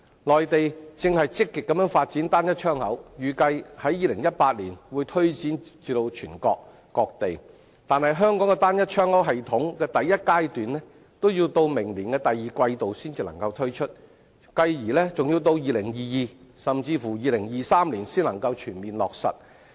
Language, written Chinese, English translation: Cantonese, 內地正積極發展"單一窗口"，預計於2018年會推展至全國各地，但香港的"單一窗口"系統第一階段已要在明年第二季度才能推出，繼而更要至2022年，甚至2023年才能全面落實。, The Mainland has been actively developing a trade single window and the system is expected to be extended across China in 2018 . Nevertheless the first phase of the Trade Single Window system in Hong Kong will only be introduced in the second quarter of next year and the system will be fully implemented only in 2022 or even 2023